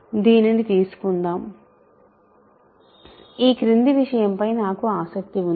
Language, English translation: Telugu, So, let us take this, I am interested in the following object